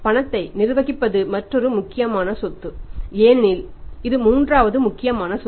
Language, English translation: Tamil, Management of the case is another very important asset because it is third important assets